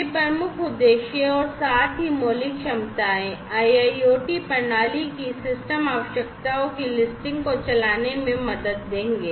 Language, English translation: Hindi, So, these key objectives plus the fundamental capabilities together would help in driving the listing of the system requirements of the IIoT system to be deployed